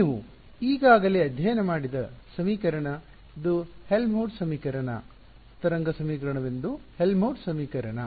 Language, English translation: Kannada, The equation for this you have already studied, it is the Helmholtz equation right a wave equation is the Helmholtz equation